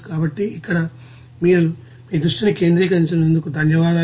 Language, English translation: Telugu, So, thank you for giving your attention here